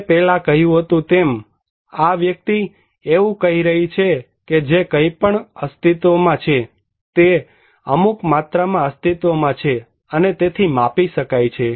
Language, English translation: Gujarati, As I said before, this person is saying that anything that exists; exists in some quantity and can, therefore, be measured